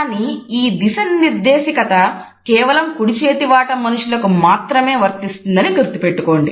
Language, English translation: Telugu, Please note that this direction is valid only for those people who are right handed